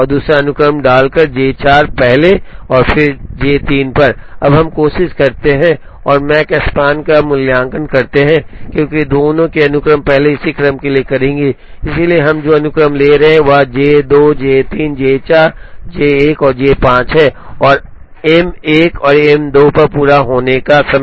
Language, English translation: Hindi, Now, let us try and evaluate the Makespan, for both the sequences will first do that for this sequence, so the sequence that we are taking is J 2 J 3 J 4 J 1 and J 5 and completion times on M 1 and M 2